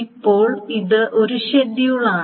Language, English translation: Malayalam, So now this is the one schedule